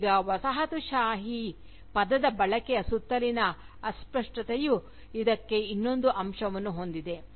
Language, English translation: Kannada, Now, the vagueness surrounding the use of the term Colonialism, has also another aspect to it